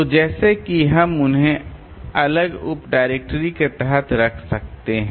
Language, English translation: Hindi, So like that we can keep them under separate sub director